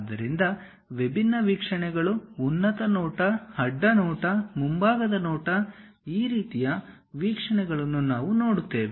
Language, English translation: Kannada, So, different views, top view, side view, front view these kind of things we will see